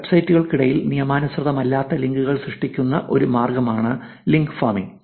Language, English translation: Malayalam, Link farming is a way which non legitimate links are created between the websites